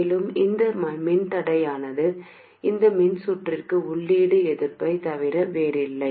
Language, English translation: Tamil, So there will be some resistance inside and this resistance is nothing but the input resistance of this circuit